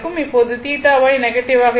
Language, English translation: Tamil, So, theta Y is negative right